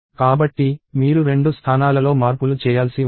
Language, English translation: Telugu, So, you may have to make changes in 2 places